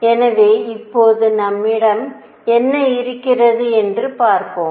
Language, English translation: Tamil, So now, let us see what apart we have